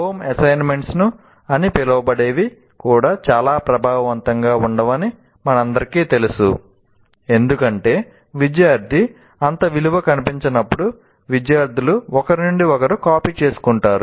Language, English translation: Telugu, And as we all know, that even the so called home assignments are also not that very effective because when the student doesn't see much value in that, the students tend to copy from each other